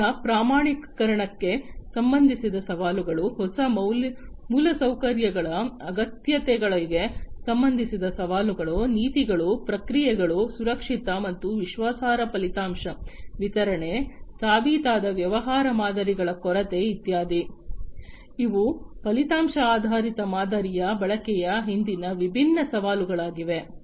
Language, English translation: Kannada, Challenges with respect to the standardization of the price, challenges with respect to the requirement of new infrastructure, policies, processes, safe and reliable outcome delivery, lack of proven business models etcetera, these are different challenges behind the use of outcome based model